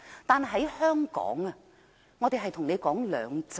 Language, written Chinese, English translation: Cantonese, 但在香港，我們談的是"兩制"。, In Hong Kong however we are talking about two systems